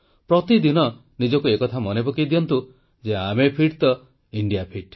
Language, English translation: Odia, Remind yourself every day that if we are fit India is fit